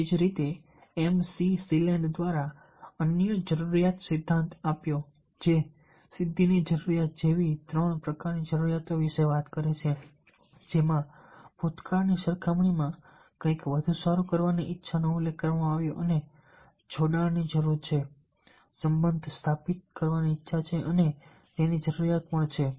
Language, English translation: Gujarati, another need theory is that which speaks about the three types of needs, like need for achievement, which mentions a desire to do something better compared to past, and there is a need for affiliation, the desire to establish the relationships